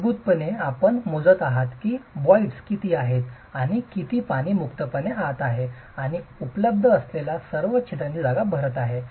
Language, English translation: Marathi, Basically what you are measuring is how much voids are present and how much water is freely going in and filling up all the pore spaces that are available